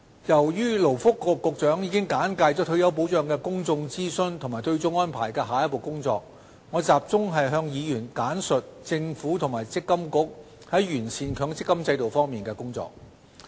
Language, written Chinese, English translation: Cantonese, 由於勞工及福利局局長已簡介退休保障的公眾諮詢和對沖安排的下一步工作，我集中向議員簡述政府和強制性公積金計劃管理局就完善強積金制度的工作。, Since the Secretary for Labour and Welfare has briefly introduced the public consultation on retirement protection and the next stage of work on the offsetting arrangements I will focus my speech on briefing Members on the work of the Government and the Mandatory Provident Fund Schemes Authority MPFA with regard to perfecting the MPF System